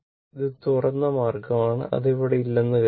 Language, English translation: Malayalam, It is open means, assume it is not there